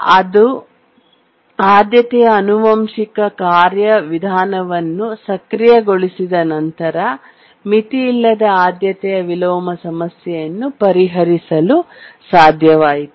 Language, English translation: Kannada, So, the enabled the priority inheritance procedure and then it could solve the unbounded priority inversion problem